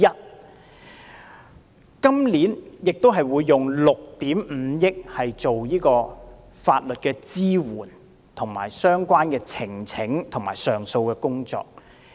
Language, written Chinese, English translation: Cantonese, 政府今年也會動用6億 5,000 萬元，進行有關法律支援、呈請和上訴的工作。, This year the Government will also spend 650 million on work relating to legal assistance petitions and appeals